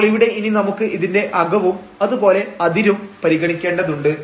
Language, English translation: Malayalam, So, we have to now in this case we have to consider the interior and also the boundary